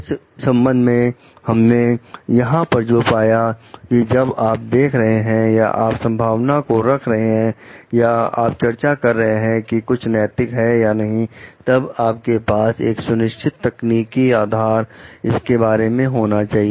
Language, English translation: Hindi, What we find over here is like it is in this connection like when you are seeing like when you have putting a perspective or discussing whether something is ethical or not, you should have a clear technical foundation about it